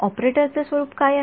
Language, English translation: Marathi, What is the form of the operator